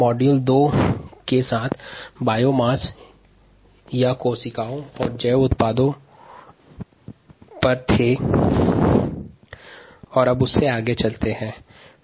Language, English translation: Hindi, module two is on biomass, cells and bio products